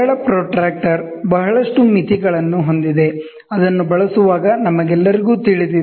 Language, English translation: Kannada, Simple protractor has lot of limitations, which we all know while using